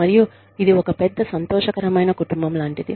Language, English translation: Telugu, And, it is like, this one big happy family